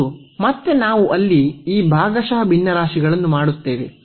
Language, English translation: Kannada, And, then again we will do this partial fractions there